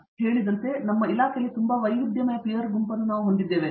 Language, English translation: Kannada, We have like you said; we have a very diversified peer group in our department